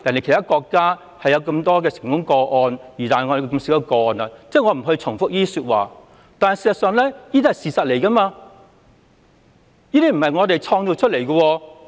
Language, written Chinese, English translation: Cantonese, 其他國家有不少成功個案，但香港的成功個案卻很少，這些情況都是事實，並非我們創造出來。, There are quite a number of successful cases in other countries but successful cases in Hong Kong are not that many . These situations are the real facts which are not fabricated by us